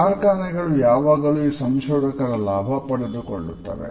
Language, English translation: Kannada, Industries have always taken advantage of these researchers